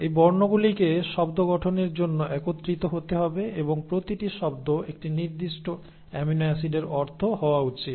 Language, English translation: Bengali, Now these alphabets have to come together to form words and each word should mean a particular amino acid